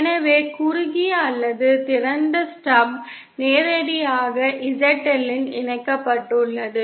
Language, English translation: Tamil, So shorted or open stub is connected directly at the Z L